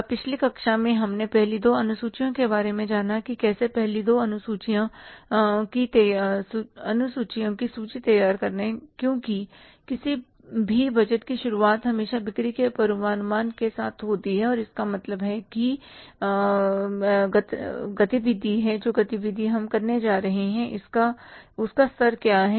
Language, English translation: Hindi, Now, in the previous class we learned about the first two schedules that how to prepare the first two schedules because beginning of any budget is all base with the say forecasting of sales